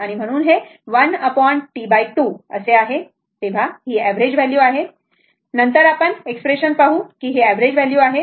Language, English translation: Marathi, So, 1 upon T by 2, so this is your average value right, later we will see the expression, this is the average value